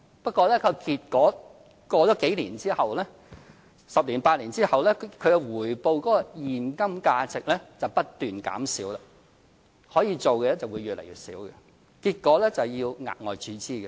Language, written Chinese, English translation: Cantonese, 不過，結果是過了數年後，在十年、八年後，它的回報現金價值則不斷減少，可以做的會越來越少，結果要額外注資。, However the cash values of the returns will eventually decrease after a few years or around a decade later and will in turn jeopardize the capacity of the funds rendering it necessary for the Government to make further injections